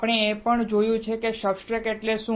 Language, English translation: Gujarati, We have also seen that, what is a substrate